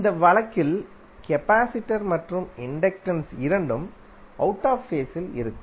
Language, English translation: Tamil, In this case capacitor and inductor both will be out of phase